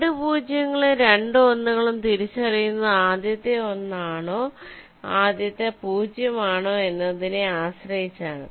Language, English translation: Malayalam, so i can distinguish between the two zeros and two ones with respect to whether they are the first zero or the first one